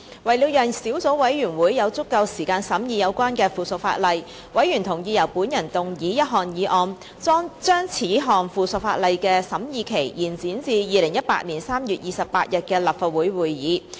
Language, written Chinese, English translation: Cantonese, 為了讓小組委員會有足夠時間審議有關的附屬法例，委員同意由我動議一項議案，將此項附屬法例的審議期延展至2018年3月28日的立法會會議。, To allow the Subcommittee more time to complete its scrutiny work on the subsidiary legislation members agreed that I would move a motion to extend the scrutiny period of the subsidiary legislation to the Legislative Council meeting of 28 March 2018